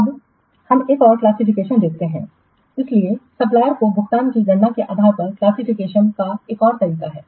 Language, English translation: Hindi, So, there is another way of classification based on the calculation of a payment to the suppliers